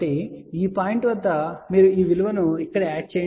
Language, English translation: Telugu, So, at this point, you add this value here which is plus j 1